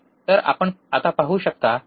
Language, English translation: Marathi, So, you could see now, right